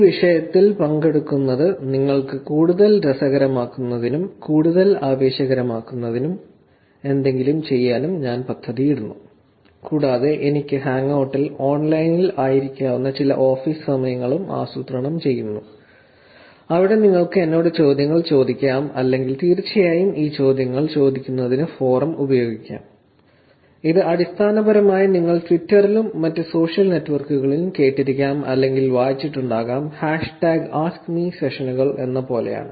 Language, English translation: Malayalam, I also plan to have something to make it more exiting, to make it more interesting for you to actually participate in the topic and I also plan to have some office hours where I would be online on Hangout, where you can actually ask me questions or of course, the forum also can be used for asking these questions, it's basically like hashtag AskMe sessions that you may have heard about in the past or read it on twitter and other social networks